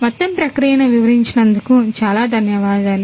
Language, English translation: Telugu, Ok, thank you so much for explaining the entire process